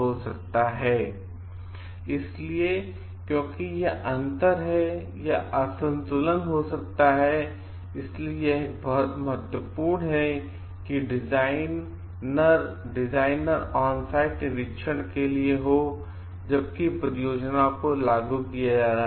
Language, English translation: Hindi, So, because there is this gap or mismatch may happen, it is very important to have a designer for onsite inspection while the projects are being implemented